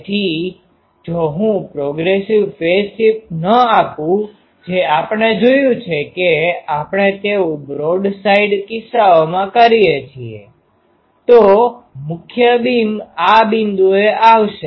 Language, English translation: Gujarati, So, if I do not give a progressive phase shift which we have seen we do it in broad side cases, then the main beam will come at this point